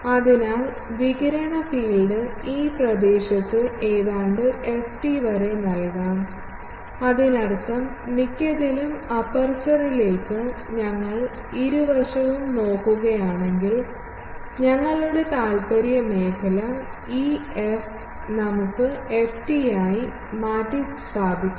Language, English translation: Malayalam, So, radiated field can be given nearly by ft in this region and this so; that means, in most of our zone of interest if we are looking both side to the aperture, then this f, we can replace by ft also if not then we will have to do